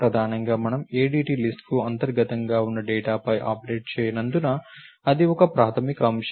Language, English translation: Telugu, Primarily, because we do not operate on the data which is internal to the ADT list, that is a fundamental point